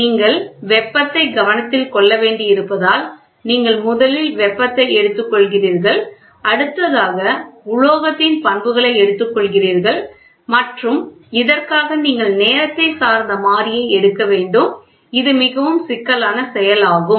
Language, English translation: Tamil, Because you are supposed to take heat, you are supposed first is heat, you are supposed to take material property and you are also supposed to take a time dependent variable for this, it is a very complicated process